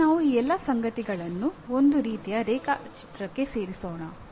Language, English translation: Kannada, Now let us put down all these things together into a kind of a diagram